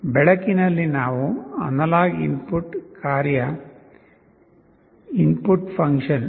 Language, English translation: Kannada, In the light we are using the analog input function ldr